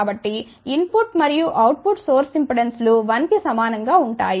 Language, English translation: Telugu, So, input and the output source impedances at equal to 1